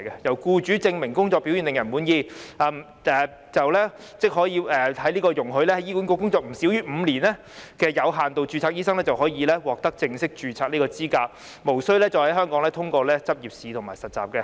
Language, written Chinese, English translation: Cantonese, 在僱主證明工作表現令人滿意後，即可以容許在醫管局工作不少於5年的有限度註冊醫生，獲得正式註冊的資格，無須在香港通過執業試和實習。, Amendments were proposed to the effect that doctors who had been in employment with HA under limited registration for not less than five years and with satisfactory work performance proven by their employers would be qualified for full registration without having to go through the required examination and internship in Hong Kong